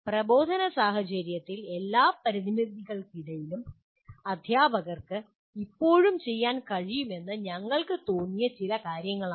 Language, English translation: Malayalam, Okay, these are a few things that we felt teachers can still do in spite of all the limited limitations of the instructional situation they are in